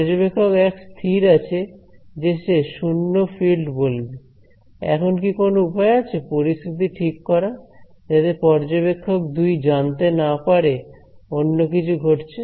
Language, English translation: Bengali, Observer 1 has he is fixed I am going to report zero field is there any way to fix this situations such observer 2 does not know that anything different happened